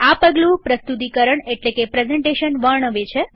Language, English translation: Gujarati, This step describes the presentation